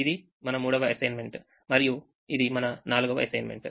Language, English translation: Telugu, this was our first assignment, this is our second assignment